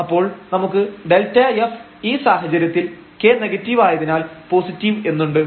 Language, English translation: Malayalam, So, we have this delta f positive, in this situation when k is negative